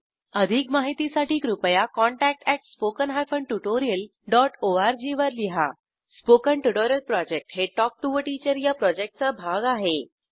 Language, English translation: Marathi, For more details, please write to, contact@spoken hyphen tutorial dot org Spoken Tutorial Project is a part of the Talk to a Teacher project